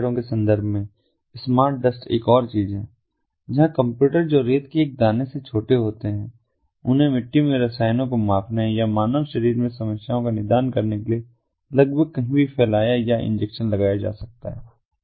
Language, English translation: Hindi, smart dust is another thing, where the computers that are smaller than a grain of sand can be spread or injected almost anywhere to measure chemicals in the soil or to diagnose problems in the human body